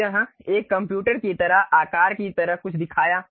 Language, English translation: Hindi, So, it showed something like a size like computer